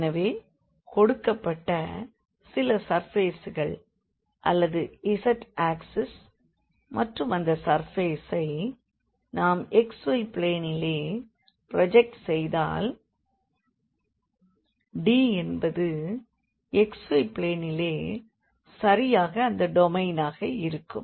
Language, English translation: Tamil, So, we have the some surface given or the z axis and if we project that surface into this xy plane then D will be exactly that domain in the xy plane